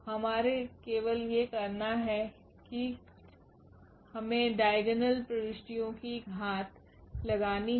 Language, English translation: Hindi, Only thing we have to we have to just do this power here of the diagonal entries